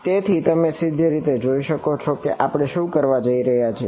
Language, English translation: Gujarati, So, you can straight away see what we are going to do